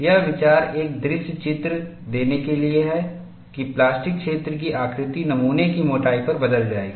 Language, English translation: Hindi, The idea is to give a visual picture that the plastic zone shape would change over the thickness of the specimen